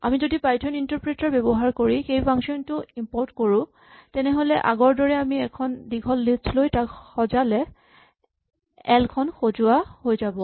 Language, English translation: Assamese, If we start the python interpreter, and say import this function, then as before if we for example, take a long list and sort it then l becomes sorted